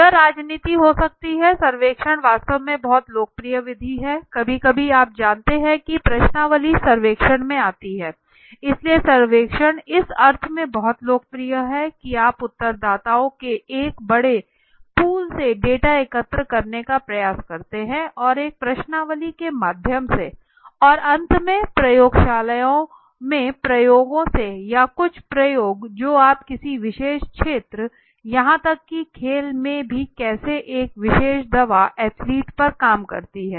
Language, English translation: Hindi, It could be politics anything right survey is a very popular method survey in fact survey also sometimes you know the questionnaire goes into the survey so survey is very popular in the sense you do a you know try to collect data from a large pool of respondents, and through up maybe through a questionnaire and finally experiments in the labs for example or the experiment that you do on any particular field maybe it is or even sports right okay how does one particular medicine work on athletic